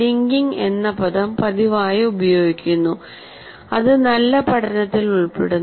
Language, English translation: Malayalam, So the word linking is constantly used that is involved in good learning